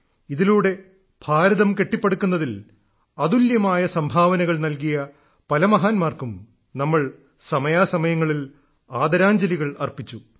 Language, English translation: Malayalam, During all this, from time to time, we paid tributes to great luminaries whose contribution in the building of India has been unparalleled; we learnt about them